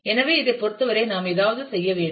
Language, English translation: Tamil, So, we will need to do something in terms of this